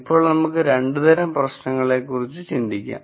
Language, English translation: Malayalam, Now, we can think of two types of problems